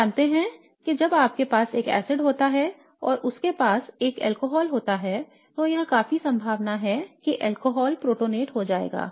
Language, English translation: Hindi, Again we know that when you have an acid and you have an alcohol it's quite likely that the alcohol will get protonated